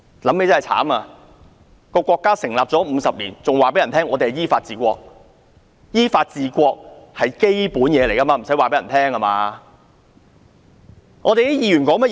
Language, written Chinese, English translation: Cantonese, 可悲的是國家成立了50年，還要對人說要依法治國，依法治國是最基本的，不需要告訴其他人。, It was pathetic that 50 years after the founding of our country the authorities still had to promulgate governing the country according to law . It is fundamental to govern a country according to law and there is no need to sound it out